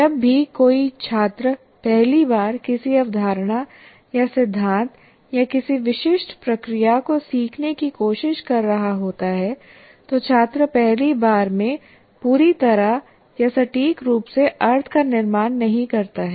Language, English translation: Hindi, Whenever a student is trying to learn first time a concept or a principal or a certain procedure, what happens, the students do not construct meaning fully or accurately the first time